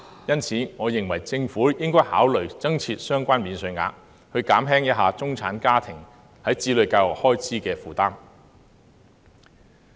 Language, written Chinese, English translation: Cantonese, 因此，我認為政府應考慮增設相關免稅額，減輕中產家庭在子女教育開支方面的負擔。, Hence I think the Government should consider introducing such an allowance so as to alleviate the burden of education expenditure on middle - class families